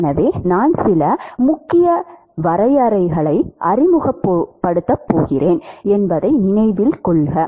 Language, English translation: Tamil, So note that I am going to introduce some key definitions